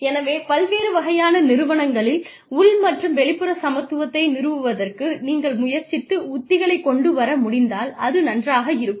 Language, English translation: Tamil, So, the exercise is, it will be nice, if you can try and come up with strategies, to establish internal and external equity, in different types of organizations